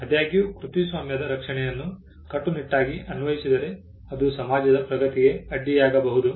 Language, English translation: Kannada, However, if copyright protection is applied rigidly it could hamper progress of the society